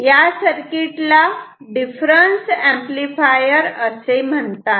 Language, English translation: Marathi, So, this is difference amplifier